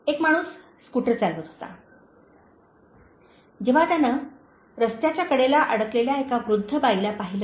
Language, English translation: Marathi, A man was driving a scooter, when he saw an old lady, stranded on the side of the road